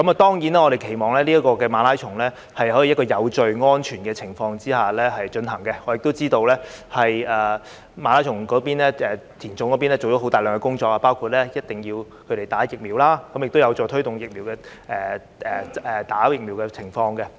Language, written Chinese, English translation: Cantonese, 當然，我們期望馬拉松可以在有序、安全的情況下進行，我亦知道"田總"做了大量工作，包括要求參賽者必須接種疫苗，這亦有助推動疫苗的接種。, We hope that the marathon can be held in a safe and orderly manner . Also I know that the Hong Kong Association of Athletics Affiliates has made significant efforts to among others require all marathon participants to get vaccinated; this requirement will indeed help promote vaccination